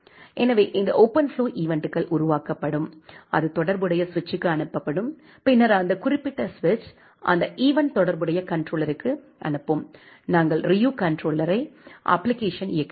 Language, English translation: Tamil, So, this OpenFlow events will be generated and it will be sent to the corresponding switch, and then that particular switch will send that event to the corresponding controller, the Ryu controller application that we are running